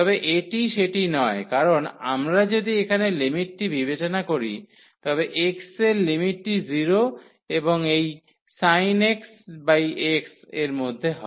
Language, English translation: Bengali, But, this is not the case because if we consider the limit here so, the limit as x goes to x goes to 0 and this sin x over x